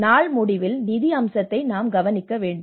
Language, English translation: Tamil, At the end of the day, we need to look at the funding aspect